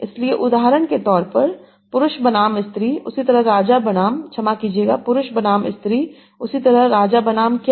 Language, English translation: Hindi, So example is man is to woman as king is to, sorry, man is to woman as king is to what